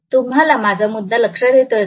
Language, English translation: Marathi, Are you getting my point